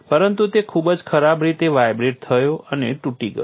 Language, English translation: Gujarati, But it violently vibrated and collapsed